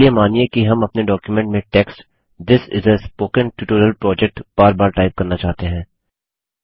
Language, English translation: Hindi, Lets say we want to type the text, This is a Spoken Tutorial Project repeatedly in our document